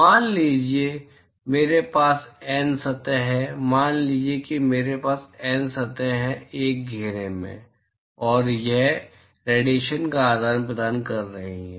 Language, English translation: Hindi, Supposing I have N surfaces, supposing I have N surfaces in an enclosure and it is exchanging radiation